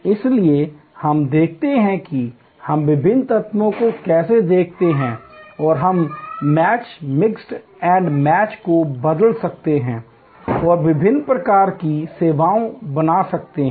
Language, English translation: Hindi, So, we see, how we look at the different elements and we can change match, mix and match and create different kinds of services